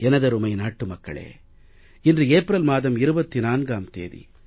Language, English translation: Tamil, My dear fellow citizens, today is the 24th of April